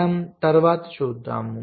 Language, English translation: Telugu, so we shall later see means